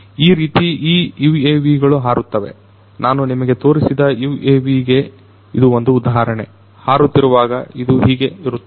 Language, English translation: Kannada, And this is how these UAVs fly, this is you know an example of the UAV that I had shown you, how it is going to be when it is flying